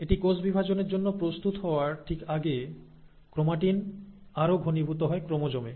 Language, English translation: Bengali, But right before it is ready to undergo cell division, the chromatin further condenses into chromosome